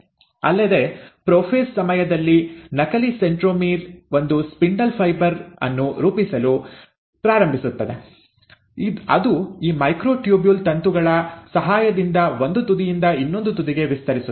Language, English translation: Kannada, Also, during the prophase, you find that the duplicated centromere starts forming a spindle fibre which is with the help of these microtubule filaments which are extending from one end to the other